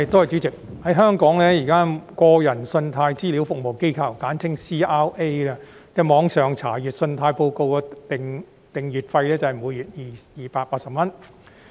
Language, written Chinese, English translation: Cantonese, 主席，在香港，現時個人信貸資料服務機構的網上查閱信貸報告訂閱費是每月280元。, President presently in Hong Kong the consumer CRA charges a monthly subscription fee of 280 for online access to credit reports